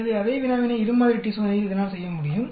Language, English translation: Tamil, So, same problem it can do it in the two sample t test